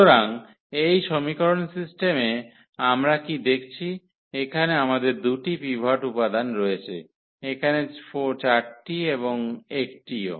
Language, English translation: Bengali, So, for this system of equation what do observer what do we observe here that we have the 2 pivots element here 4 and also this 1